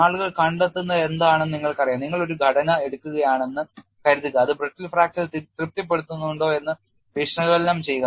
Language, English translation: Malayalam, You know what people have found is suppose you take a structure, analyze whether it satisfies brittle fracture